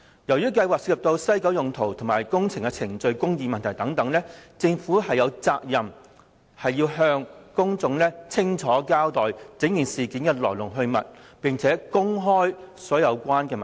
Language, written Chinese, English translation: Cantonese, 由於計劃涉及西九文化區用途及工程的程序公義問題，政府有責任向公眾清楚交代事件的來龍去脈，並公開所有相關文件。, Since the HKPM project concerns the land use of WKCD and procedural justice of projects the Government has a duty to clearly explain the details to the public and produce all relevant documents